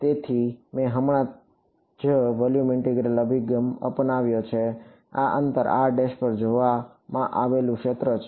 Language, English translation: Gujarati, So, I have just taken the volume integral approach here this is the field observed at a distance R prime